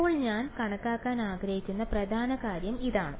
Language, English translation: Malayalam, Now this is the main thing that I want to calculate